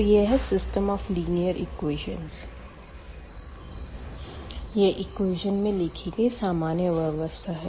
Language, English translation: Hindi, So, here the system of linear equations; so, this is a general system written in terms of the equations